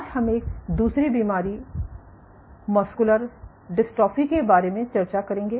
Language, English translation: Hindi, So, today I will discuss about another disease muscular dystrophy